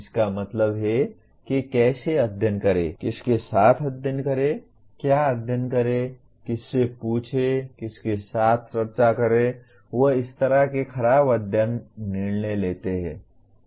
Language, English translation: Hindi, That means how to study, with whom to study, what to study, whom to ask, with whom to discuss, they make poor study decisions like that